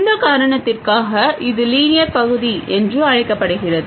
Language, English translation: Tamil, So, for this reason this is called the linear region